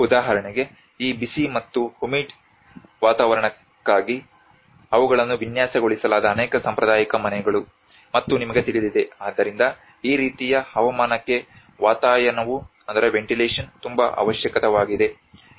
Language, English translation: Kannada, For instance, many of the traditional houses they were designed for this hot and humid climate, and you know, therefore the ventilation is very much essential for this kind of climate